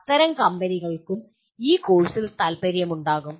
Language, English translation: Malayalam, Such companies will also be interested in this course